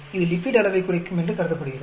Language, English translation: Tamil, It is supposed to be lowering the lipid levels